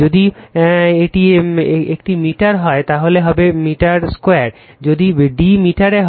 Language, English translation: Bengali, If it is a meter, then it will be your meter square, if d is in meter